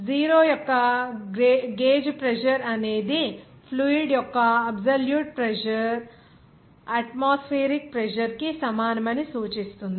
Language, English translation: Telugu, A gauge pressure of 0 indicates that the absolute pressure of the fluid is equal to the atmospheric pressure